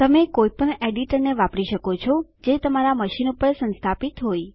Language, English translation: Gujarati, You can use any editor that is installed on your machine